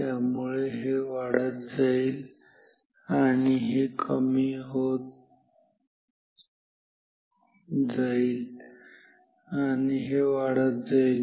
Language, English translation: Marathi, So, this will go up this is going down this is going up